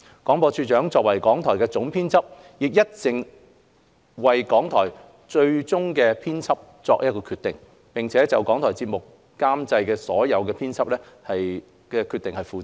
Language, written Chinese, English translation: Cantonese, 廣播處長作為港台的總編輯，亦一直為港台作最終編輯決定，並就港台節目監製所作的編輯決定負責。, As RTHKs Editor - in - chief the Director of Broadcasting has been responsible for making the final editorial decisions in RTHK and accountable for editorial decisions taken by RTHK programme producers